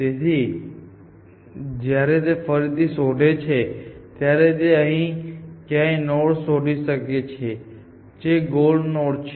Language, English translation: Gujarati, Then the next time it searches, it may find a node somewhere here, which is a goal node